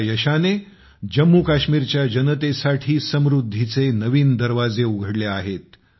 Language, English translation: Marathi, This success has opened new doors for the prosperity of the people of Jammu and Kashmir